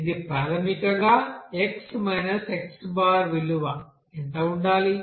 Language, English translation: Telugu, This is basically defined as What is the xi